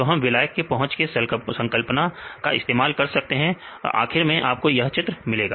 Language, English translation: Hindi, So, we can use the concept of solvent accessibility and finally, you get this figure right